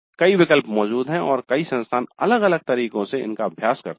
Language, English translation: Hindi, Several options do exist and several institutes practice this in different ways